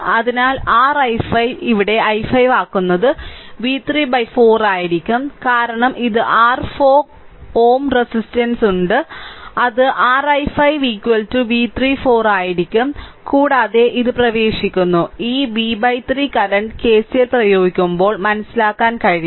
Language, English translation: Malayalam, So, your i 5 ah making it here i 5 that will be is equal to v 3 by 4 because this is your 4 ohm resistance is there, that will be your i 5 is equal to v 3 by 4 right and this v by 3 current it is entering right when we will apply KCL, accordingly it can understand